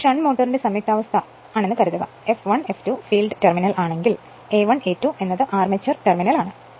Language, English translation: Malayalam, Suppose this is the connection of the shunt motor F 1, F 2 is the field terminal, A 1 A 2 armature terminal right